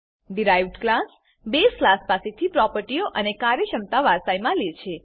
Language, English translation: Gujarati, Derived class inherits the properties and functionality of the base class